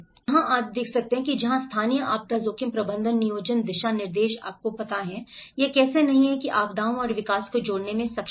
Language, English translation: Hindi, So that is where the local disaster risk management planning guidelines you know, how it is not properly able to connect the disasters and development